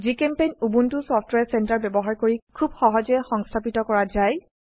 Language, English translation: Assamese, GChemPaint can be very easily installed using Ubuntu Software Center